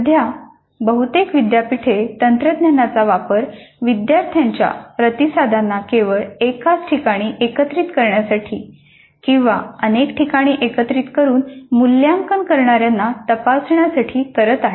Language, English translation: Marathi, At present, most of the universities are using technology only to gather all the student responses at a single place or at multiple places, multiple places for evaluators to mark the responses